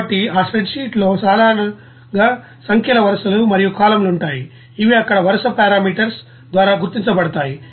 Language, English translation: Telugu, So, in that spreadsheet generally consist of numbered rows and columns that identified by sequential parameters here